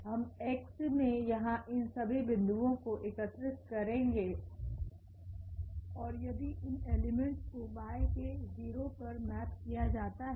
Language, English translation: Hindi, We will collect all these points here in X and if they map to this 0 element in Y